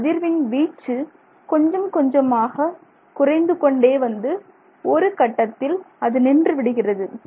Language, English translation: Tamil, Slowly the amplitude of vibration will start coming down and then eventually it comes to a halt